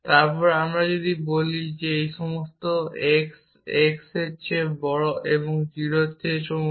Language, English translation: Bengali, You can do things like this for all x x greater than y